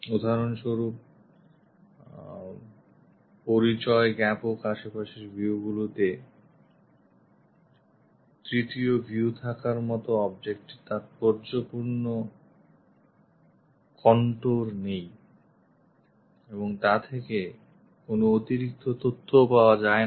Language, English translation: Bengali, For example, identical adjacent views exists the third view has no significant contours of the object and it provides no additional information